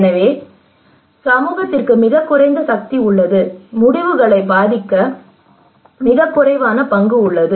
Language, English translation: Tamil, So community has a very less power, very less stake to influence the decisions